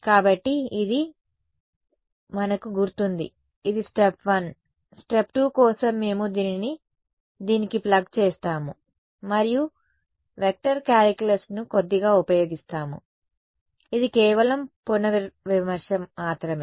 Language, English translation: Telugu, So, this we remember so, this for step 1 step 2 then we just plug this guy into this guy and use a little bit of vector calculus again this is just revision